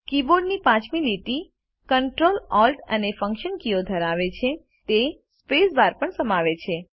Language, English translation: Gujarati, The fifth line of the keyboard comprises the Ctrl, Alt, and Function keys.It also contains the space bar